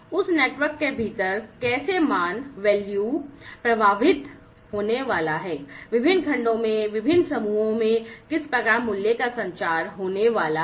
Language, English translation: Hindi, How within that network, how the value is going to flow, how the value is going to be communicated across different groups, across different segments